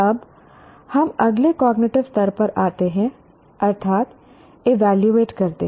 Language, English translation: Hindi, Now come, we come to the next cognitive level, namely evaluate